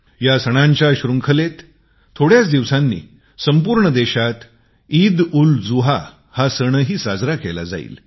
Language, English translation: Marathi, In this series of festivals, EidulZuha will be celebrated in a few days from now